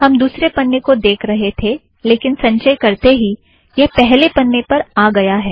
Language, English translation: Hindi, We were viewing the second page, on compilation, it goes to the first page